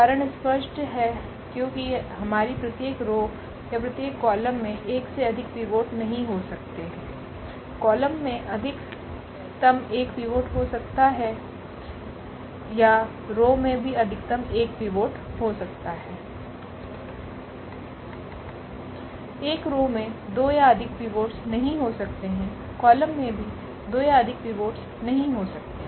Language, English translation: Hindi, The reason is clear because our each row or each column cannot have more than one pivot, the column can have at most one pivot or the row also it can have at most one pivot, one row cannot have a two pivots or more, column cannot have a two pivots or more